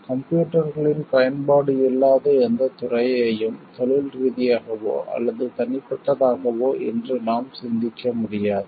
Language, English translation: Tamil, Any We just cannot think of any field today whether it is professional or personal, where there is no use of computers now